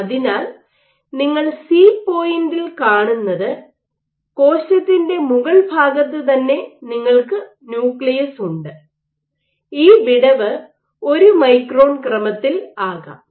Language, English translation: Malayalam, So, what you see is at point C you have the nucleus right underneath the top of the cell to the extent that this gap can be on the order of 1 micron